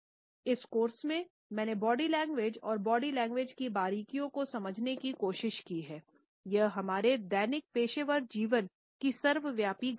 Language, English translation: Hindi, During this course, I have attempted to delineate the nuance details of body language and body language is an omnipresent phenomenon of our daily professional life